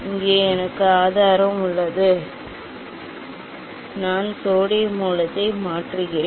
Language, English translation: Tamil, here I have source I just replace the sodium source